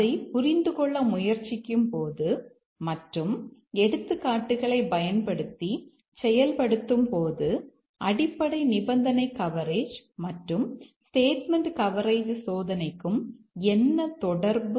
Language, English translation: Tamil, Please try to reason it out, give examples or prove what is the relation between basic condition coverage and statement coverage testing